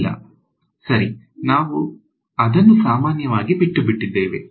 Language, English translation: Kannada, No, right we just left it generally ok